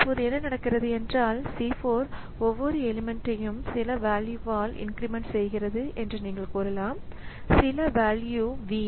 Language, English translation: Tamil, So, now what can happen is that you can say, say C4 is doing some say incrementing each element by some value so some value V so it is incrementing